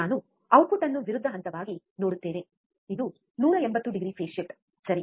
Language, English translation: Kannada, We will see output which is opposite phase, this is 180 degree phase shift, alright